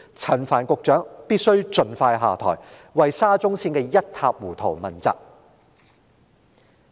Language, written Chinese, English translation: Cantonese, 陳帆必須盡快下台，為沙中綫的一塌糊塗問責。, Frank CHAN must step down as soon as possible to be held accountable for the havoc of SCL